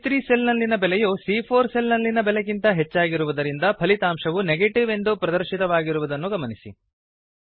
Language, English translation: Kannada, Note, that the result is now Negative, as the value in cell C3 is greater than the value in cell C4